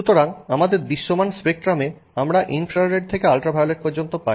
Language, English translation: Bengali, So, in our, you know, visual visible spectrum we can go from, you know, infrared to ultraviolet